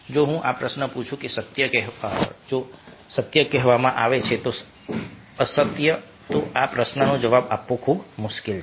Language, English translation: Gujarati, if i ask this question whether truth is being told or false would, then it is very difficult to answer this question